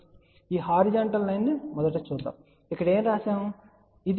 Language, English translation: Telugu, So, let us see first of all this horizontal line what is written over here